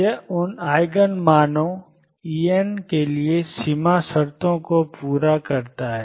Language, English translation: Hindi, It satisfies the boundary conditions for those Eigen values E n